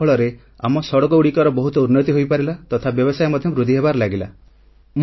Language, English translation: Odia, As a result of this, our roads have improved a lot and business there will surely get a boost